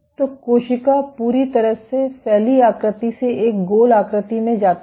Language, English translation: Hindi, So, cell goes from a completely spreads configuration to a round configuration